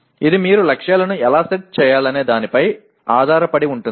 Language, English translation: Telugu, It depends on how you are planning to set the targets